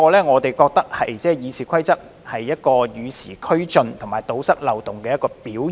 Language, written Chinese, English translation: Cantonese, 我們認為修訂《議事規則》是與時俱進及堵塞漏洞的表現。, We consider that amending RoP is a move to keep abreast of the times and plug the loopholes